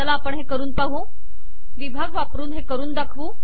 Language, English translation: Marathi, So let us do that, let us demonstrate this with section